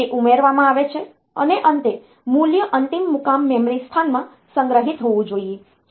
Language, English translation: Gujarati, They are there to be added and finally, the value should be stored in the in the destination memory location